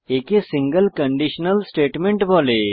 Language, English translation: Bengali, It is called a single conditional statement